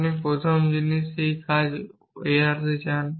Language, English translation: Bengali, The first thing you want to do is avoid this guess work